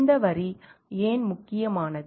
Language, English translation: Tamil, Why this line is important